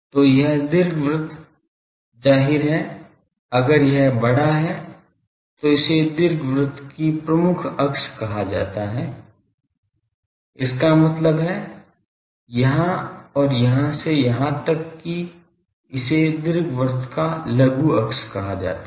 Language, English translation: Hindi, So, this ellipse; obviously, if this is larger this is called major axis of the ellipse; that means, here to here and here to here it is called the minor axis of the ellipse